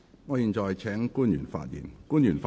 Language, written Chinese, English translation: Cantonese, 我現在請官員發言。, I now call upon the public officer to speak